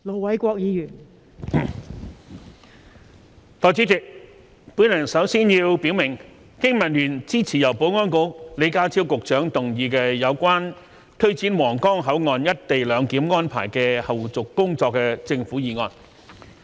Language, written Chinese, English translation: Cantonese, 代理主席，我首先要表明，經民聯支持由保安局李家超局長動議有關推展皇崗口岸"一地兩檢"安排的後續工作的政府議案。, Deputy President first of all I wish to state that the Business and Professionals Alliance for Hong Kong BPA supports the motion moved by Mr John LEE the Secretary for Security on taking forward the follow - up tasks of implementing co - location arrangement at the Huanggang Port